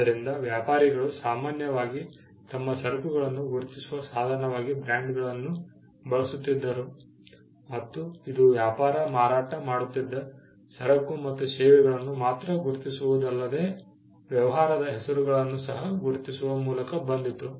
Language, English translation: Kannada, So, traders usually used brands as a means to identify their goods and this came up by not only identifying them goods and services they were selling, but also to identify the business names